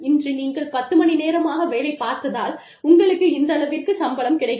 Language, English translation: Tamil, Today, you put in ten hours of work, you get, this much salary